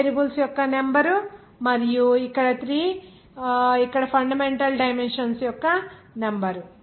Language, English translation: Telugu, 5 is the number of variables and 3 are here the number of fundamental dimensions